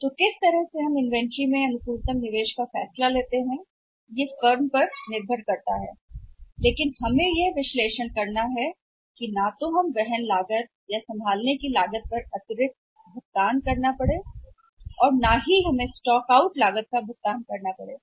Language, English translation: Hindi, So, in what way we decide the optimum investment in inventory that depends upon the firm but we have to make out we have to analyse that neither we have to pay extra carrying and handling cost nor we have to pay the any stock out cost